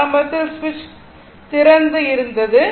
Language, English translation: Tamil, So, initially switch was open switch was initially switch was open